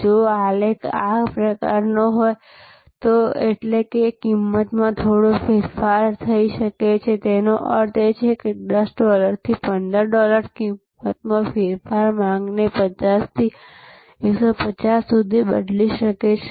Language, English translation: Gujarati, If the graph is of this shape; that means, a little change in price can make that means, is 10 dollars to 15 dollars change in price, can change the demand from 50 to 150